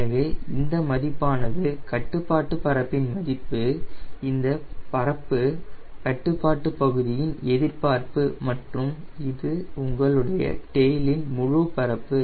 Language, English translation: Tamil, so these value will be area of control surface participation by three area control surface and this is your whole area of tail